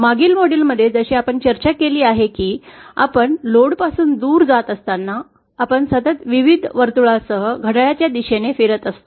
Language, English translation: Marathi, As we have discussed in the previous module that as we move away from the load, we traverse a clockwise rotation along a constant various circle